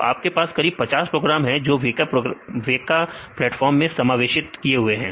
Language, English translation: Hindi, So, we will have more than 50 programs that are incorporated in this weka platform